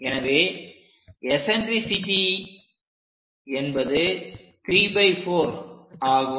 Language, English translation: Tamil, So, eccentricity here 3 by 4